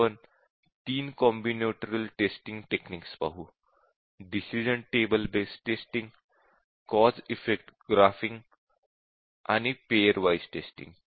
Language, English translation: Marathi, We will look at three combinatorial testing techniques the decision table based testing, cause effect graphing and pair wise testing